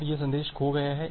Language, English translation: Hindi, Now, this message has lost